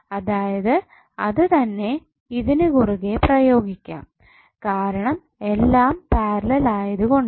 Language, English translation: Malayalam, That means the same would be applied across this because all are in parallel